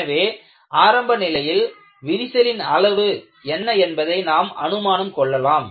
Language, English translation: Tamil, So, that would be the assumption on what is the initial crack size